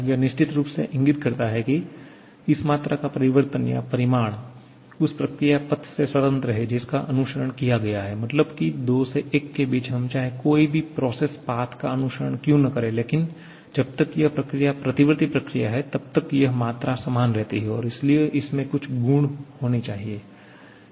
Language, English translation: Hindi, That definitely indicates that the change or rather the magnitude of this quantity is independent of the process path that has been followed that is whatever may be the process path we are following between 2 to 1 as long as that is reversible, this quantity remain the same and therefore that has to be some property